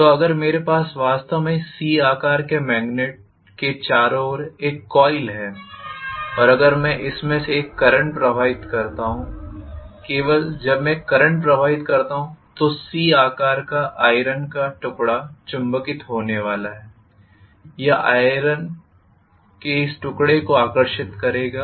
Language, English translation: Hindi, So if I actually have a coil around this C shaped magnet and if I pass probably a current i through this, only when I pass a current the C shaped iron piece is going to get magnetized and it will attract this piece of iron